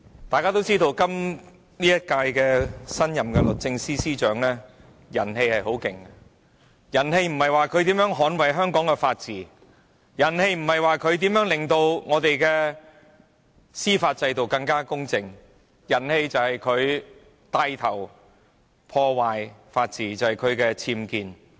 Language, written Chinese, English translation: Cantonese, 大家也知道，今屆政府的新任律政司司長人氣甚盛，此話所指的並不是她如何捍衞香港的法治，如何令香港的司法制度更加公正，而是指她牽頭破壞法治，因為她涉及僭建事件。, As we all know the new Secretary for Justice of the current - term Government enjoys high popularity not in the sense that she has striven to safeguard Hong Kongs rule of law or enhance the impartiality of our judicial system but in the sense that she has taken the lead to undermine our rule of law with the scandal of unauthorized building works UBWs relating to her